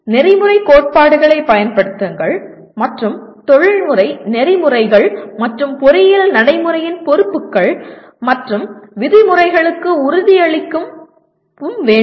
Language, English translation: Tamil, Apply ethical principles and commit to professional ethics and responsibilities and norms of the engineering practice